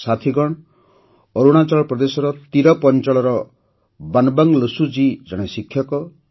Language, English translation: Odia, Friends, Banwang Losu ji of Tirap in Arunachal Pradesh is a teacher